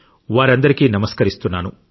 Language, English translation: Telugu, I salute all of them